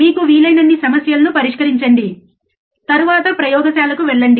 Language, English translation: Telugu, Solve as many problems as you can, then go to the laboratory